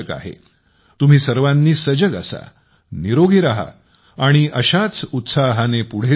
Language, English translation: Marathi, All of you stay alert, stay healthy and keep moving forward with similar positive energy